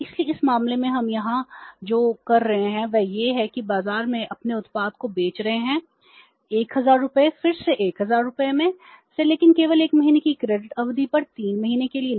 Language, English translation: Hindi, So, in this case what they are doing here is they are selling their finished product in the market, 1,000 rupees again worth 1,,000 again but on a credit period of only 1 month, not for 3 months